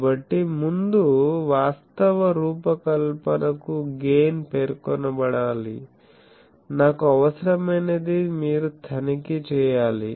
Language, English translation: Telugu, So, before that actual design is the gain should be specified, you will have to check that what I require